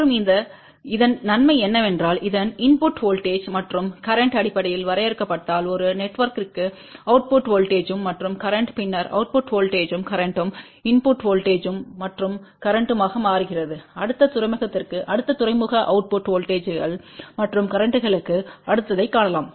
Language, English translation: Tamil, And the benefit of that is that for one network if this input voltage and current is defined in terms of output voltage and current then that output voltage current becomes input voltage and current for the next port, and then we can find the next to next port output voltages and currents